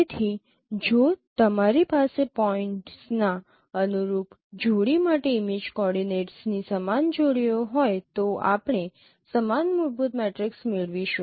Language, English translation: Gujarati, So if you have same pairs of image coordinates for the corresponding pairs of points, you will get the same fundamental matrix